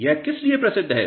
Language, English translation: Hindi, It is famous for what